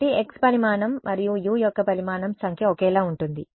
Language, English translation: Telugu, So, the number of the size of x and the size of u is identical